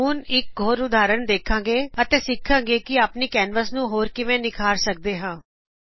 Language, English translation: Punjabi, Lets look at another example and also learn how to beautify our canvas